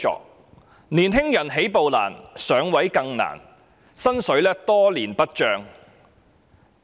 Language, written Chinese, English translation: Cantonese, 青年人起步難，"上位"更難，他們的薪金多年不漲。, To young people it is difficult to get a job and even more difficult to get a promotion . Their salaries have not increased for years